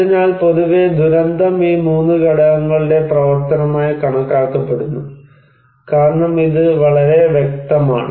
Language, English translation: Malayalam, So, disaster in general is considered to be the function of these 3 components as it is very clear